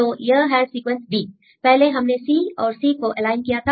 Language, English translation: Hindi, So, here this is sequence b; first you C and C we aligned